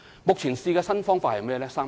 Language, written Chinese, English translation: Cantonese, 目前試用的新方法是甚麼？, What are the new methods currently used in pilot districts?